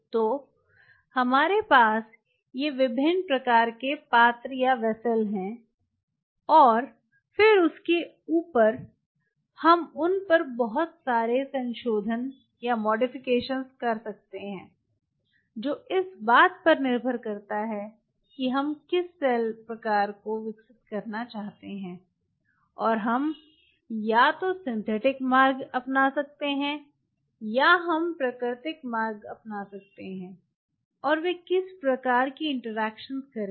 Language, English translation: Hindi, so we have these different kind of vessels and then, on top of that, we can do a lot of modifications on them, depending on what cell type we wanted to grow, and we can either go by synthetic route or we can go by natural route, and what kind of interaction they will do